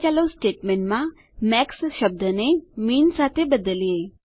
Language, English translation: Gujarati, Now, lets replace the term MAX in the statement with MIN